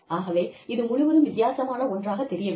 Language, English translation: Tamil, So, it does not seem like, something totally different